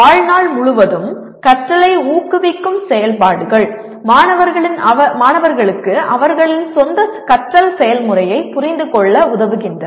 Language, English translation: Tamil, Activities that promote life long learning include helping students to understand their own learning process